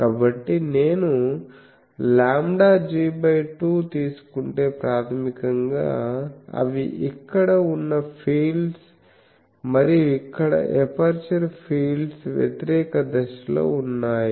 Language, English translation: Telugu, So, if I take lambda g by 2, basically they are the fields that are present here and here the aperture fields are opposite phase